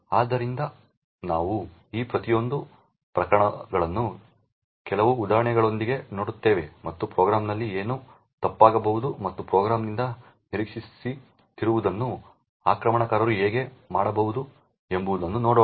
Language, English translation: Kannada, So, we will look at each of these cases with some examples and see what could go wrong in the program and how an attacker could be able to do something which is not expected of the program